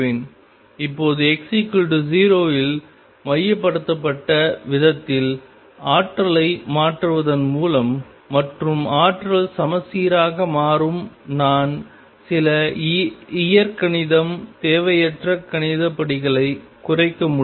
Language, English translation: Tamil, Now by shifting the potential in such a manner that centralized at x equal 0 and the potential becomes symmetry I can reduce some algebra unnecessary mathematical steps